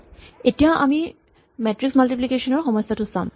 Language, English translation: Assamese, We look at the problem of matrix multiplication